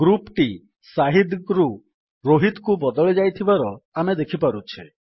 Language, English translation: Odia, Here, we can see that the group has changed from shahid to rohit